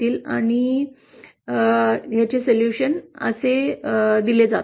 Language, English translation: Marathi, And the solutions are given as